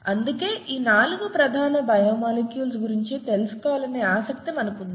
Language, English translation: Telugu, That’s why we were so interested in knowing about these 4 fundamental biomolecules